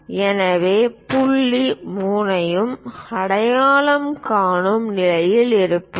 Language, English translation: Tamil, So, we will be in a position to identify point 3 also